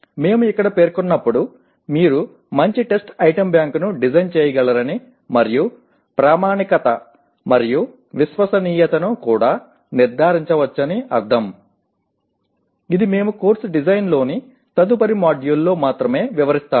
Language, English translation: Telugu, While we state here that means you can design a good test item bank and also ensure validity and reliability, this we will be elaborating only in the next module on Course Design